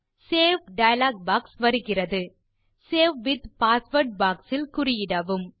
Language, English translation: Tamil, the Save dialog box appears Next, check the Save with password box